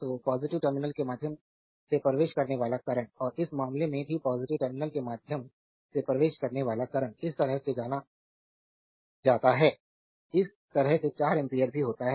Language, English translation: Hindi, So, current entering through the positive terminal and in this case here also current entering through the positive terminal goes like this, goes like this is also 4 ampere